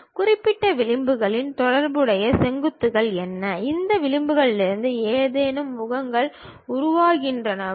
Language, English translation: Tamil, And what are the vertices associated with particular edges and are there any faces forming from these edges